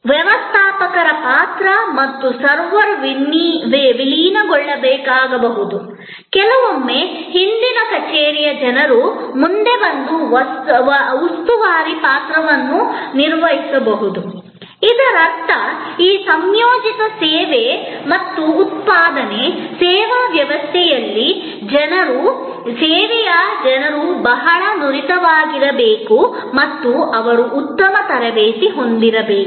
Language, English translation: Kannada, The role of the steward and the role of the server may have to be merged, sometimes the people from the back office may come forward and perform the role of the steward, which means that in many of this integrated service and production, servuction system, people will have to be, the service people will have to be multi skilled and they have to be well trained